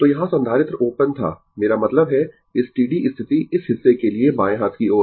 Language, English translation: Hindi, So, capacitor here was open; I mean steady state for this part left hand side right